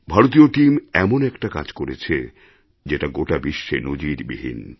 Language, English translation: Bengali, The Indian team did something that is exemplary to the whole world